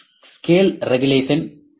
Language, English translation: Tamil, In scale regulation is 0